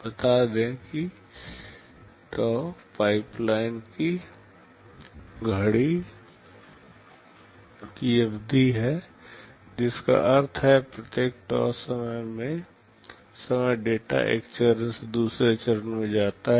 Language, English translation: Hindi, Let us say tau is the clock period of the pipeline, which means, every tau time data moves from one stage to the other